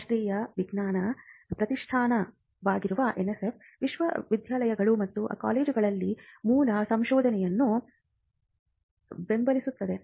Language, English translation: Kannada, The NSF which is the national science foundation, supports basic research in universities and colleges